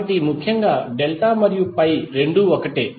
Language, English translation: Telugu, So essentially, delta and pi both are the same